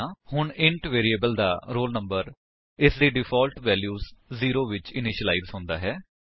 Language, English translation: Punjabi, So, the int variable roll number has been initialized to its default value zero